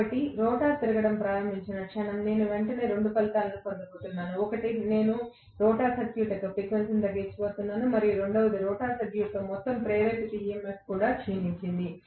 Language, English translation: Telugu, So, the moment the rotor starts rotating I am going to have immediately 2 repercussions, one is, I am going to have the frequency of the rotor circuit declining and the second one is, the overall induced EMF in the rotor circuit also declined